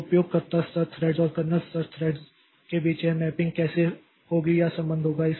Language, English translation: Hindi, So, between the user level threads and kernel level threads, how this mapping will be or the relationship will be there